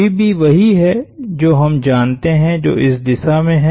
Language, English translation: Hindi, VB is what we know which is in this direction